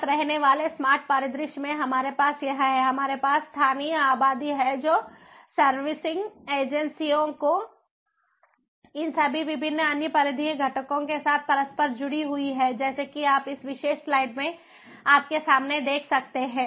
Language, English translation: Hindi, we have the localities, population, ah, serving, ah servicing agencies, these interconnected with all these different other peripheral components, as you can see in front you in this particular slide